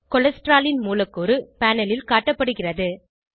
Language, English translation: Tamil, A molecule of Cholesterol is displayed on the panel